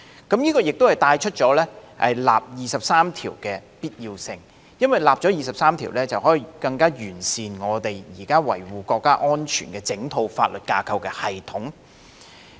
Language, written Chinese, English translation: Cantonese, 這亦帶出就《基本法》第二十三條進行立法的必要性，因為只要制定相關法例，便可以令現時維護國家安全的整套法律架構的系統更臻完善。, This has thus highlighted the necessity of legislating for the implementation of Article 23 of the Basic Law because only by enacting the relevant legislation can we achieve further enhancement of the entire system of the existing legal framework for safeguarding national security